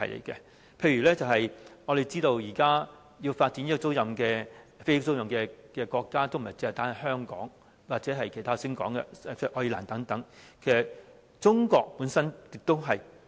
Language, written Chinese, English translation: Cantonese, 舉例來說，我們知道現時要發展飛機租賃業務的國家不僅是香港或我剛才提到的愛爾蘭等，其實中國本身也在發展。, For example we know that Hong Kong and Ireland which I have mentioned are not the only places that want to develop aircraft leasing business . In fact China is also developing the business . Such development in China is quite remarkable